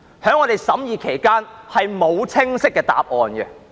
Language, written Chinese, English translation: Cantonese, 在我們審議期間，並無清晰的答案。, No clear answer was given during our scrutiny